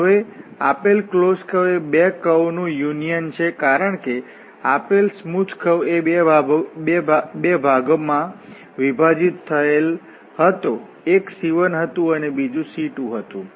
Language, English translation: Gujarati, Now, this curve C the given close simple close curve C is the union of the 2 because this the entire smooth close curve was divided into 2 portions, one was C 1, the other one was C 2